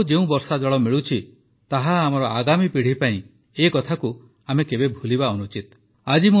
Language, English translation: Odia, The rain water that we are getting is for our future generations, we should never forget that